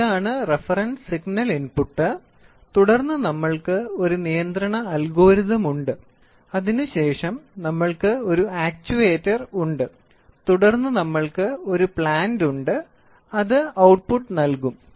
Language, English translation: Malayalam, So, we have, this is the reference signal input and then we have a control algorithm, then we have an actuator, then we have a plant and that will give output, right